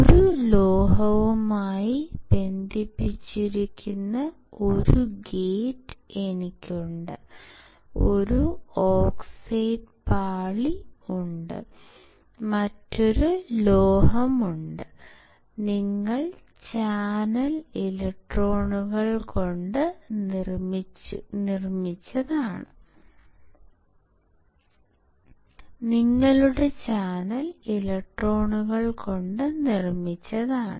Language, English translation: Malayalam, It looks like I have a gate which is connect to a metal, then there is a oxide layer, and then there is a another metal; why because this constitutes your channel, made up of electrons